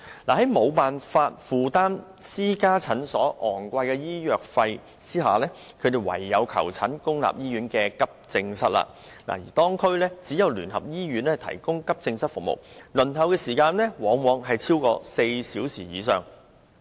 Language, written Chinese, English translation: Cantonese, 在無法負擔私家診所高昂收費的情況下，他們唯有前往公立醫院的急症室求診，但該兩區只得聯合醫院提供急症室服務，而輪候時間往往超出4小時。, Even when they were connected booking was already full . Not being able to afford the exorbitant consultation fees charged by private clinics they can only attend the AE departments of public hospitals . Nevertheless consultation service is only available at the AE Department of United Christian Hospital for the two districts concerned where the waiting time usually exceeds four hours